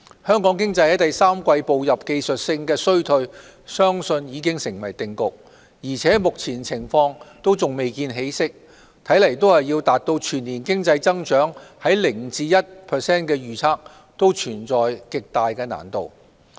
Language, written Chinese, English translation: Cantonese, 香港經濟在第三季步入技術性衰退相信已成定局，而且目前情況還未見起色，看來要達到全年經濟增長在 0% 至 1% 的預測，存在極大難度。, It is very likely that the Hong Kong economy has already slipped into a technical recession in the third quarter . Besides the current situation has not shown any sign of improvement . The annual economic growth forecast of 0 % to 1 % seems extremely difficult to be achieved